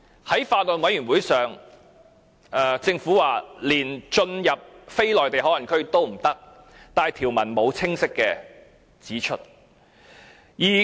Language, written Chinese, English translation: Cantonese, 在法案委員會會議席上，政府說連進入非內地口岸區也不行，但條文並沒有清晰指出來。, At the meeting of the Bills Committee the Government said that they are not allowed to enter areas other than MPA yet this is not stated clearly in the provision